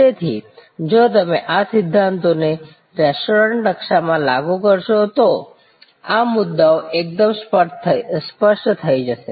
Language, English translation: Gujarati, So, if you apply these principles to the restaurant blue print, these issues will become quite clear